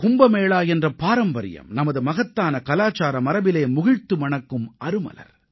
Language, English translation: Tamil, The tradition of Kumbh has bloomed and flourished as part of our great cultural heritage